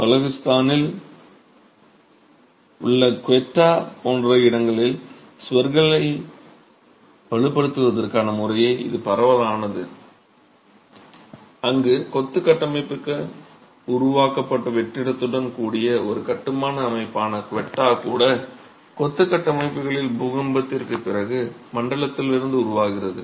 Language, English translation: Tamil, This gained prevalence as method for reinforcing walls in places like Quetta in Balochistan where even the Quetta bond which is a wall construction system with a void created to hold the masonry is a development from the zone after earthquake effects on masonry structures